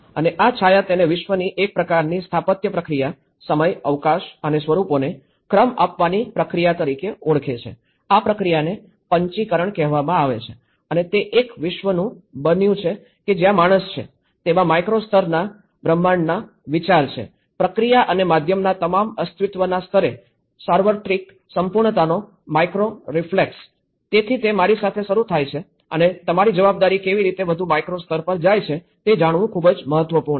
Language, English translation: Gujarati, And this Chhaya calls it as a kind of the architectural process of the world, the process of ordering time, space and forms, this process is called panchi karan and becoming the worldís where the man is a micro reflex of the universal totality at all the existence levels of idea, process and medium of macro level universe, so it starts with I and how your responsibility goes back to a much more macro level is very important